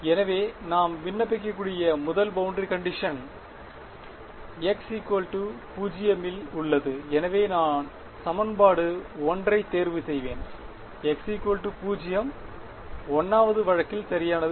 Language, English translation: Tamil, So, first boundary condition we can apply is at x is equal to 0, so I will choose equation 1 right x x is equal to 0 comes in the 1st case right